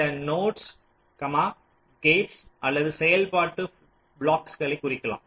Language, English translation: Tamil, these nodes may indicate gates or any functional blocks